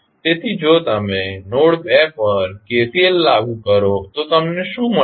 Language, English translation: Gujarati, So, if you apply KCL at node 2 what you get